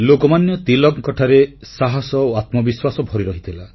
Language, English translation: Odia, Lokmanya Tilak was full of courage and selfconfidence